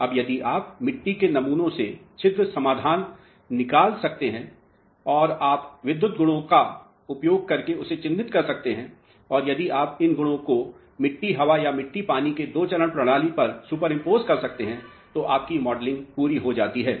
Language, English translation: Hindi, Now, if you can extract the pore solution from the soil sample and you can characterize it by using electrical properties and if you can superimpose these properties on a two phase system of soil air or soil water, then your modelling is complete